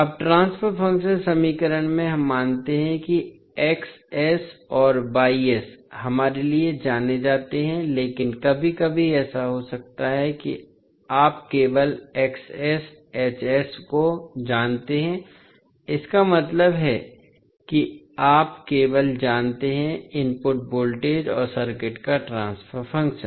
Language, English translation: Hindi, Now, in the transfer function equation we assume that X s and Y s are known to us, but sometimes it can happen that you know only X s, H s at just that means you know only the input voltage and the transfer function of the circuit